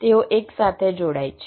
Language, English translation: Gujarati, they connected right now